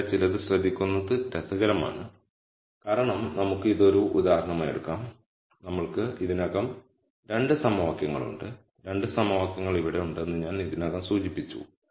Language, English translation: Malayalam, Now, it is interesting to notice something here for let us just take this as an example already we have 2 equations, I have already mentioned that the 2 equations are here